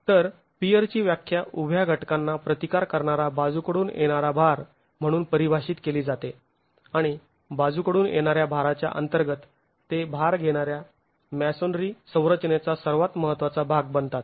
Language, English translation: Marathi, So, the peers are defined as lateral load resisting vertical elements and they form the most important part of a load bearing masonry structure under the lateral action